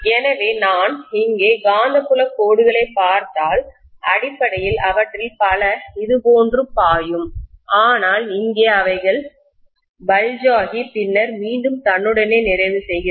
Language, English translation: Tamil, So if I look at the magnetic field lines here, basically many of them will flow like this, but here they will bulge and then again they will complete themselves (())(11:25)